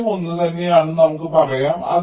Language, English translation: Malayalam, lets say the value was same